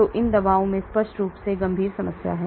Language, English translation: Hindi, So these drugs obviously have serious problem